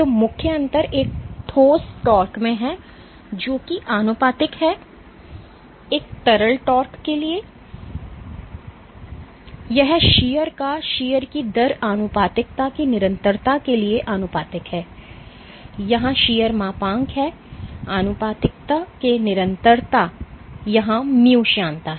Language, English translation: Hindi, So, the main difference is in a solid tau is proportional to shear for a liquid tau is proportional to shear rate the constant of proportionality here is the shear modulus the constant of proportionality here mu is viscosity right